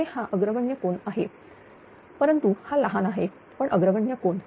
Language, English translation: Marathi, Here, it is leading angle but very small, but leading angle